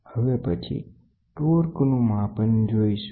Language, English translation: Gujarati, Next one is torque measurement